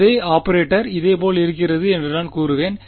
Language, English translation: Tamil, I will say the same operator remains similar ok